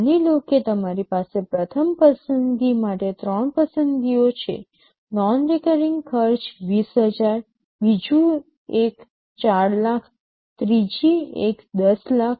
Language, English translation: Gujarati, Suppose you have three choices for the first choice the non recurring costs is 20000, second one 4 lakhs, third one 10 lakhs